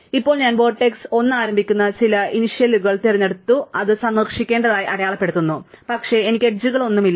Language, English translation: Malayalam, Now, I pick some initials starting vertex, say 1 and mark it to be visited, but I do not have any edges, right